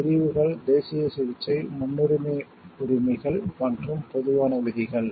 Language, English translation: Tamil, The categories are national treatment, priority rights and, common rules